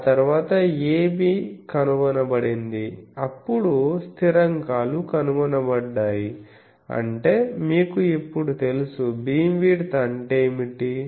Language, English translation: Telugu, The moment x 1 is found, a b is found then the constants a b found means you now know so, what is the beam width etc